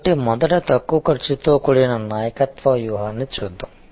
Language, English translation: Telugu, So, let us look at first the overall low cost leadership strategy